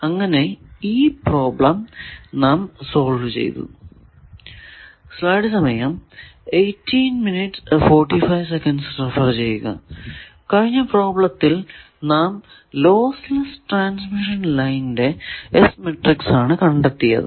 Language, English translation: Malayalam, Now, the last problem that determines the S matrix of a lossless transmission line, this is a distributed line